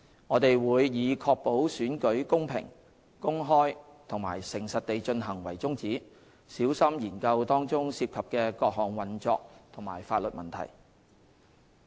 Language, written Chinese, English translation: Cantonese, 我們會以確保選舉公平、公開和誠實地進行為宗旨，小心研究當中涉及的各項運作及法律問題。, We will critically examine the various operational details and legal issues involved with the aim of ensuring that elections are conducted in a fair open and honest manner